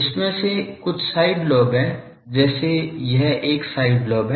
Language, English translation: Hindi, Some of this are side lobes like this one is side lobe